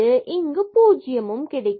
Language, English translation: Tamil, So, we will get this again as 0